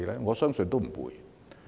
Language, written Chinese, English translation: Cantonese, 我相信不會。, I do not believe so